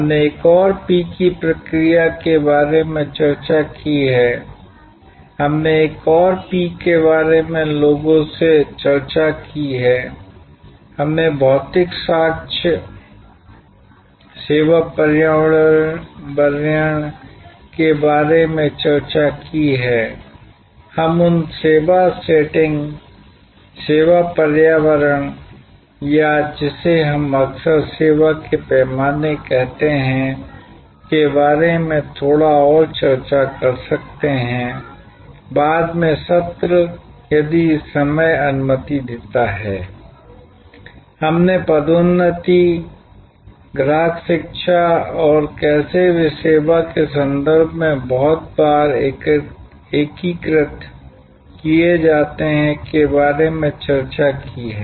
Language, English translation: Hindi, We have discussed about process another P, we have discussed about people another P, we have discussed about physical evidence, the service environment, we might discuss a little bit more about those service setting, service environment or what we often call service scale issues in a later session, if time permits